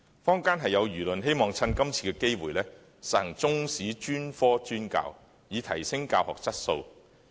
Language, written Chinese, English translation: Cantonese, 坊間有輿論希望藉着今次機會實行中史專科專教，以提升教學質素。, Public opinions favour enhancement of quality of teaching through the implementation of specialized teaching for the subject of Chinese History